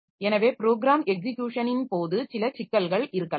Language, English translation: Tamil, So, that way during program execution there may be some problem